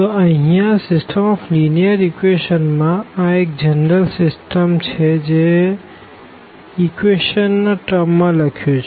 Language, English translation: Gujarati, So, here the system of linear equations; so, this is a general system written in terms of the equations